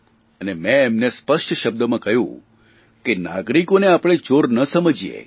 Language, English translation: Gujarati, And I have told them in clear words that we should not perceive citizens as crooks